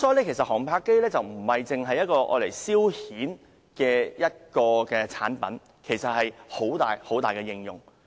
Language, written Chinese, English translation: Cantonese, 因此，航拍機不單是用作消遣的產品，其實已被廣泛應用。, Therefore drones are not only a product for leisure . Actually they have been put to extensive uses